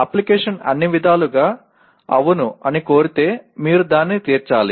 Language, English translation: Telugu, If the application demands that yes by all means you have to meet that